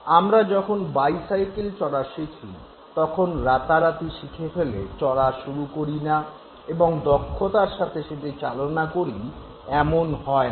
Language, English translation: Bengali, When you try to learn how to ride a bicycle, it was not that overnight you started now riding a bicycle and driving it, maneuvering it with full skill